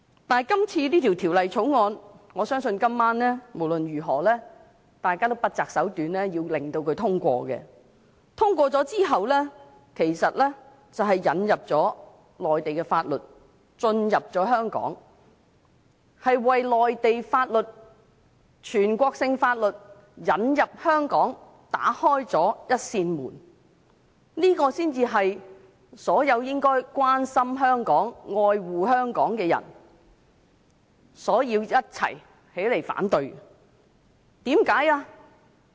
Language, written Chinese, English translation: Cantonese, 但是，我相信就這項《條例草案》，今晚大家也會不擇手段地讓它獲得通過，在它通過之後，其實是把內地法律引入香港，為內地法律、全國性法律引入香港打開了一扇門，這才是所有應該關心香港、愛護香港的人需要群起反對的，為甚麼呢？, However I believe that those Members will try all means to have this Bill passed tonight . The passage of this Bill will actually lead to the introduction of national laws into Hong Kong thus opening the gate for the application of Mainland laws and national laws in Hong Kong which should be opposed together by those who care and love Hong Kong . Why?